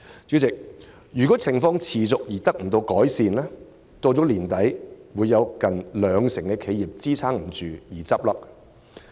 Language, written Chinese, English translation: Cantonese, 主席，如情況持續，未見改善，香港將有近兩成企業支撐不住，在今年年底倒閉。, President if the situation continues with no visible improvement nearly 20 % of the enterprises in Hong Kong will be pulled under and go out of business by the end of the year